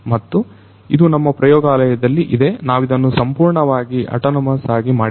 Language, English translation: Kannada, And, we have in our lab we have made it fully autonomous